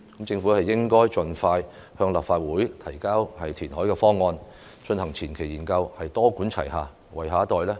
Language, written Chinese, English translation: Cantonese, 政府應該盡快向立法會提交填海方案，進行前期研究，多管齊下，為下一代創造宜居空間。, The Government should table the reclamation plan to the Legislative Council expeditiously and launch the preliminary study so as to create a liveable space for the next generation through a multi - pronged approach